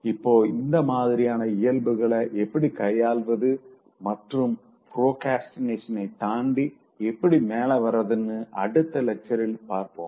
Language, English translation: Tamil, Now, in the next lecture we will learn how to sort out these kind of tendencies and how to beat procrastination and overcome